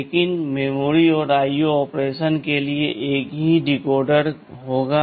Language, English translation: Hindi, But there will be a the same decoder for memory and IO operation